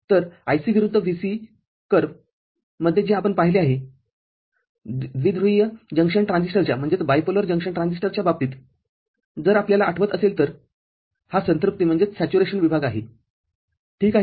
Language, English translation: Marathi, So, in the IC versus VCE curve that we had seen, in case of bipolar junction transistor, this region was the saturation region there if you remember ok